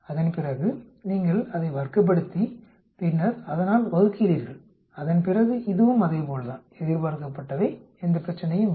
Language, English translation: Tamil, After that you square it up and then divide by, that after that it is also same expected, no problem